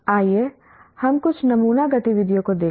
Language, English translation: Hindi, Let us look at some sample activities